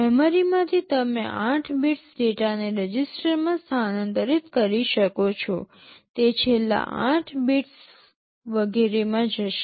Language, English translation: Gujarati, From memory you can transfer 8 bits of data into a register, it will go into the last 8 bits, etc